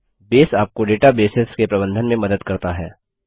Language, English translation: Hindi, Base helps you to manage databases